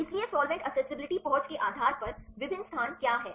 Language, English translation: Hindi, So, with what are different locations based on solvent accessibility